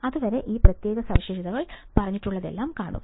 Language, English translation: Malayalam, Till then, see this particular specifications whatever has been told